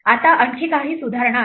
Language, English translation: Marathi, Now there are some further refinements